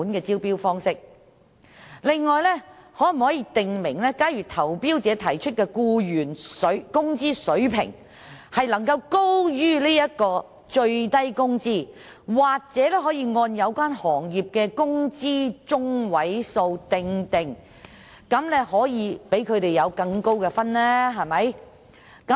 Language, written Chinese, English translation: Cantonese, 此外，可否訂明，如果投標者提出的僱員工資水平高於最低工資，又或按有關行業的工資中位數釐定，便會獲得更高的分數？, Can it be based on quality instead? . Besides can it be stated explicitly that a tenderer will receive a higher score if the employees wage level offered by him is higher than the minimum wage rate or is set in accordance with the median wage of the relevant industry?